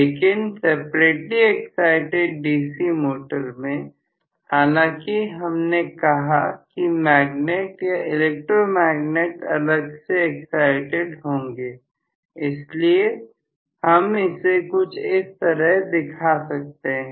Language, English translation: Hindi, But in separately excited DC motor, although we said magnet or the electromagnet will be separately excited, so we may show it somewhat like this